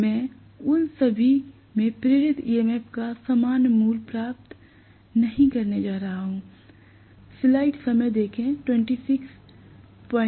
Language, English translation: Hindi, I am not going to get the same value of the induce EMF in all of them